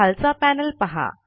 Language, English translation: Marathi, Look at the bottom panel